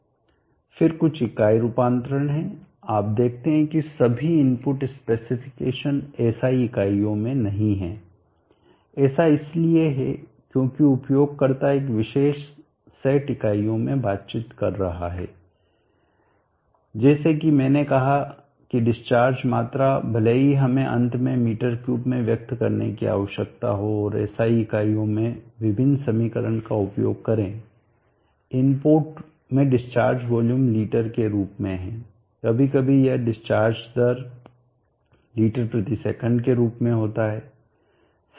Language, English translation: Hindi, Then there are some unit conversions, you see that not all the input specifications are in SI units that is because the user is conversion in a particular set of units that is because the user is conversant in particular set of units like has I said the discharge volume even though we need to finally express in m3 and use the formulas various equations in IS units the input has is in the form of liters for discharge volume sometimes